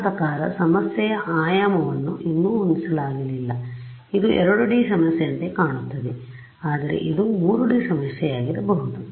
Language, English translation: Kannada, I mean the dimensionality of the problem has not yet been set right now this looks like a 2D problem, but at right I mean it could be a 3D problem